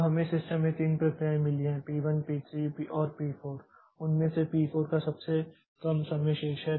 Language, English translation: Hindi, Now we have got 2 processes 3 processes in the system, p 2 sorry, p 1, p 3 and p 4 and out of that p 4 has the smallest remaining, smallest remaining time